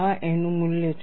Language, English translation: Gujarati, This is the value of a